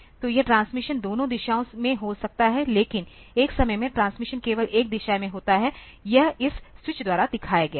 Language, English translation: Hindi, So, this transmission can be in both the direction, but at one point of time transmission is in one direction only; so, when it is connected to